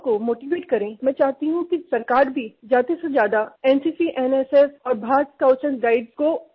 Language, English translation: Hindi, I want you to motivate the youth as much as you can, and I want the government to also promote NCC, NSS and the Bharat Scouts and Guides as much as possible